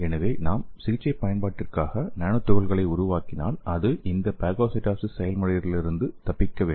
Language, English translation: Tamil, So if you are making some nanoparticle for therapeutic application so that has to escape from this phagocytosis process